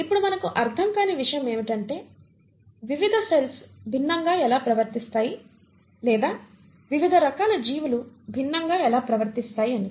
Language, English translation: Telugu, Now what we do not understand is how is it that different cells behave differently or different forms of life behave differently